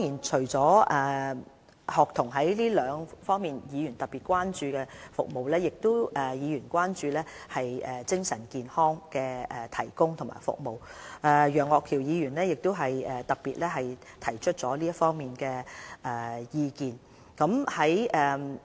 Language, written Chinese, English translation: Cantonese, 除了學童這兩方面的服務外，議員亦特別關注為他們提供的精神健康服務，例如楊岳橋議員亦特別就此提出意見。, In addition to the two services for students Members have also expressed concern about the mental health services for students . Mr Alvin YEUNG for example has given views on this particular topic